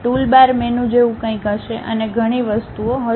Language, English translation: Gujarati, There will be something like toolbars menu and many things will be there